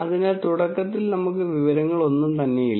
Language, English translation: Malayalam, So, right at the beginning we have no information